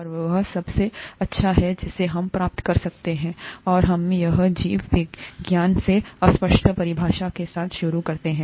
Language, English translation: Hindi, And that is the best that we can get, and let us start with the vaguest definition in biology pretty much